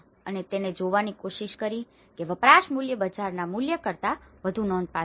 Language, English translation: Gujarati, And he tried to see that the use value is more significant than the market value